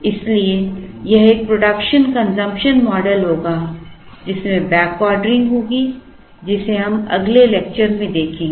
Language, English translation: Hindi, So, that would be a production consumption model, with backordering which we will see in the next lecture